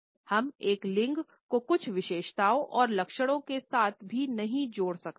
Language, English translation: Hindi, We cannot also associate a gender is having certain characteristics and traits